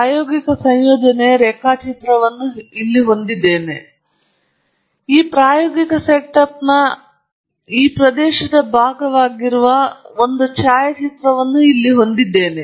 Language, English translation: Kannada, We have here the sketch of an experimental set up; it’s all well abled and so on; we have a photograph here which is part of this experimental set up, part of this region of this experimental setup